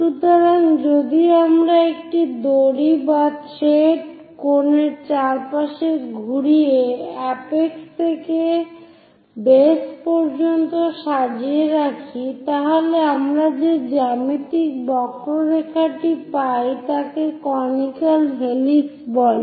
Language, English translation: Bengali, So, if we are winding a rope or thread around a cone sorting all the way from apex to base, the geometric curve we get is called conical helix